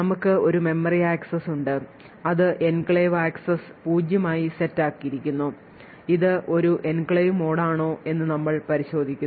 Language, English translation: Malayalam, So, we have a memory access that is which is initiated we set the enclave access to zero we check whether it is an enclave mode